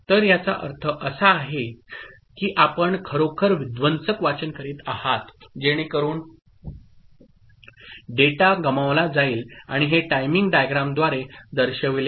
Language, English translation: Marathi, So, this is by this you are actually having a destructive reading so that means, the data is lost and this is shown through the timing diagram ok